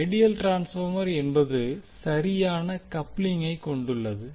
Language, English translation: Tamil, The ideal transformer is the one which has perfect coupling